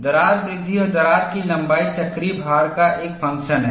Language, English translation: Hindi, Crack growth is a function of cyclical load and also crack length